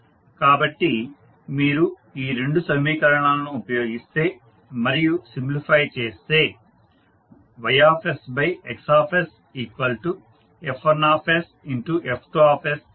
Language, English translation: Telugu, So, if you use these 2 equations and simplify you can see that Ys upon Xs is nothing but F1s into F2s